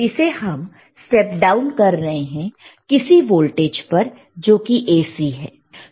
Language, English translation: Hindi, We are stepping down to some voltage, and thenwhich is still AC